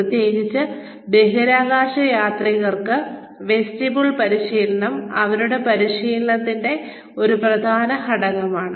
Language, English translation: Malayalam, Especially for astronauts, vestibule training is an important component of their training